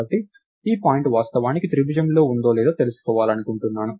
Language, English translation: Telugu, So, I want to find out, whether this point is actually within the triangle